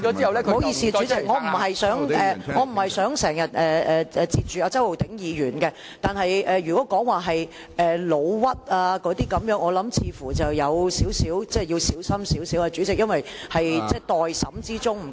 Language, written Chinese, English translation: Cantonese, 不好意思，主席，我不是想打斷周浩鼎議員的發言，但如果提到誣衊，我認為似乎要稍為小心，主席，因為案件在待審之中。, I am sorry President I do not mean to interrupt Mr Holden CHOW . But when the word slanderous is being mentioned I think Members need to be rather careful President as the case is in sub judice